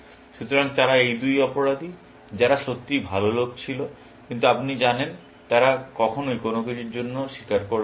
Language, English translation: Bengali, So, they are these two criminals, who were really good guys, but you know, they will never confess for anything